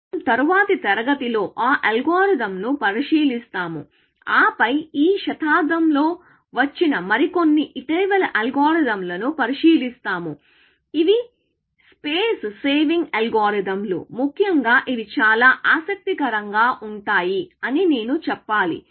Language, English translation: Telugu, We will look at that algorithm in the next class and then, we will look at some more recent algorithms, which have come in this century, I should say, which are space saving algorithms, which are quite interesting, essentially